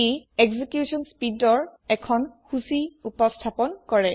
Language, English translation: Assamese, It presents a list of execution speeds